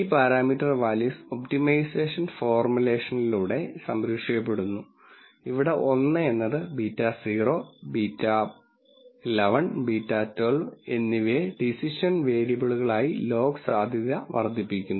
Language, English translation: Malayalam, These parameters values are guard through the optimization formulation, where 1 is maximizing log likelihood with beta naught beta 1 1 and beta 1 2 as decision variables